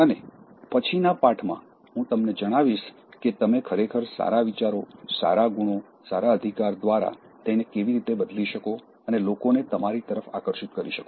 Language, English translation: Gujarati, And in the next lesson, I will inform you as how you can actually replace them with good thoughts, good qualities, good rights and make people actually attracted towards you